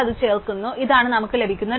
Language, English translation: Malayalam, So, finally, we add that in this is a tree that we can get